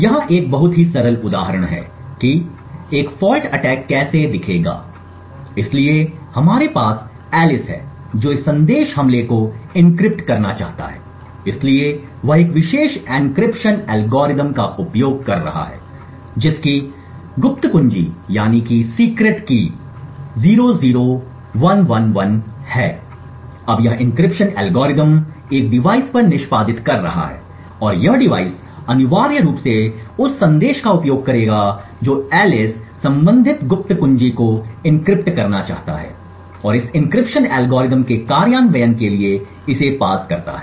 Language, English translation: Hindi, So here is a very simple example of how a fault attack would look like so we have Alice who wants to encrypt this message attack at dawn so she is using a particular encryption algorithm who’s secret key is 00111, now this encryption algorithm is executing on a device like this and this device would essentially use the message which Alice wants to encrypt and the corresponding secret key and pass it to an implementation of this encryption algorithm